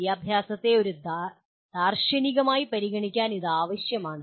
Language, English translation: Malayalam, This becomes necessary to consider education philosophically